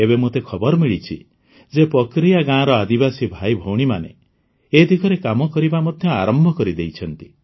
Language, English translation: Odia, Now I have come to know that the tribal brothers and sisters of Pakaria village have already started working on this